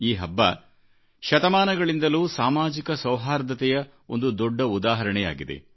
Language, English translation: Kannada, For centuries, this festival has proved to be a shining example of social harmony